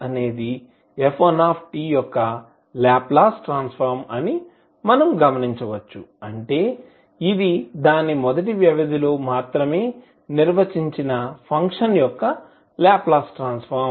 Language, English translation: Telugu, We can observe absorb that F1 s is the Laplace transform of f1 t that means it is the Laplace transform of function defined over its first period only